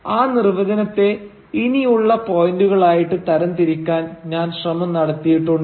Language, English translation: Malayalam, And I have sort of tried to divide that definition into these points